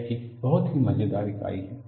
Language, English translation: Hindi, It is a very very funny unit